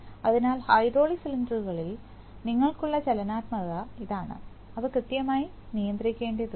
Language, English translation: Malayalam, So, this is the kind of dynamics that you have on hydraulic cylinders and they have to be precisely controlled